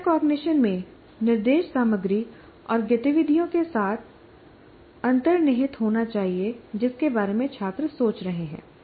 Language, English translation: Hindi, Now, instruction in metacognition should be embedded in the with the content and activities about which students are thinking